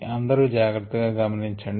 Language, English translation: Telugu, be a little careful